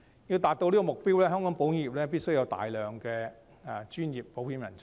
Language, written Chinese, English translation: Cantonese, 要達到這個目標，香港保險業必須有大量專業保險人才。, To achieve this goal the insurance industry of Hong Kong requires a large number of insurance professionals